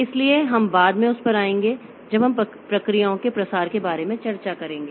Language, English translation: Hindi, So, we'll come to that later when we discuss about the threading of processes and all